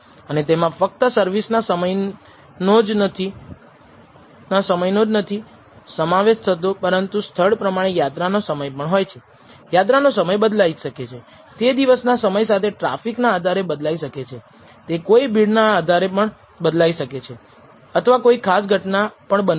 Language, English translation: Gujarati, And this could involve not just the service time, but also travel time and depending on the location, the travel time could vary, it could vary from time of day, depending on the traffic, it could also vary because of congestion or a particular even that has happened